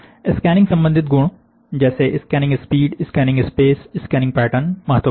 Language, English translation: Hindi, Scanning related properties are; scanning speed, scanning space and scanning pattern, is very important